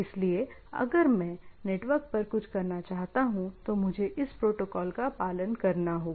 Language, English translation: Hindi, So, if I want to do something, so this is the protocol I want to follow